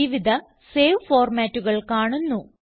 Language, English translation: Malayalam, Various save formats are seen